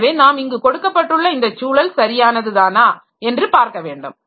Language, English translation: Tamil, So, we have to see like this environment that is provided is proper